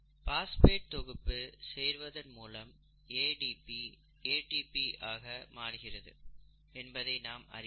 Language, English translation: Tamil, So let us look at this process in some detail, ADP getting converted to ATP